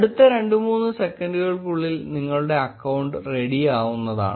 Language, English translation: Malayalam, And in next 2 to 3 seconds your account will be ready